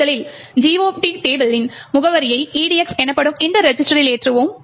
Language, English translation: Tamil, First, we load the address of the GOT table into this register called EDX